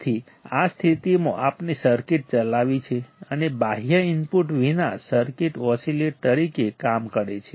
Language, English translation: Gujarati, So, in this condition, we have driven a circuit and without external input circuit works as an oscillator